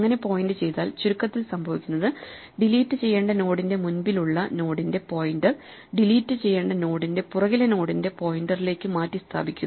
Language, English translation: Malayalam, So, in essense, all that delete requires us to do is to reassign the pointer from before the deleted node with the pointer after the deleted node